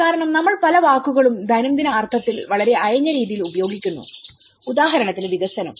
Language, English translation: Malayalam, Because we use many words very loosely in day to day sense like for instance the development